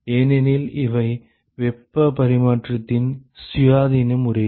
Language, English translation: Tamil, Because these are independent modes of heat transfer